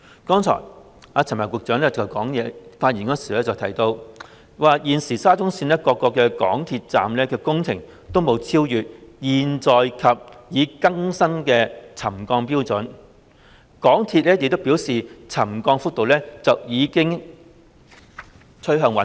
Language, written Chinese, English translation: Cantonese, 剛才陳帆局長在發言中提到，現時沙中線各個港鐵站的工程均沒有超越現有或已更新的沉降標準，港鐵公司亦表示沉降幅度已經趨向穩定。, Just now Secretary Frank CHAN mentioned in his speech that now the works at various MTR stations of SCL have not exceeded the existing or revised trigger level . MTRCL also stated that the settlement level has stabilized